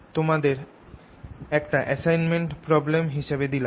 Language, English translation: Bengali, i'll give that as an assignment problem